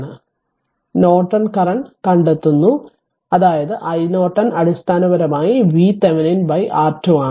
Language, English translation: Malayalam, So, finding Norton current; that means, i Norton basically is equal to V Thevenin by R thevenin